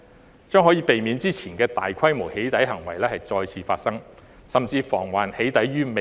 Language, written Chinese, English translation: Cantonese, 此舉將可以避免之前的大規模"起底"行為再次發生，甚至防"起底"於未然。, This move will be able to prevent the recurrence of previous large - scale doxxing activities or even prevent doxxing activities from occurring in the first place